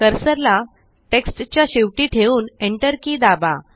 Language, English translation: Marathi, Place the cursor at the end of the text and press the Enter key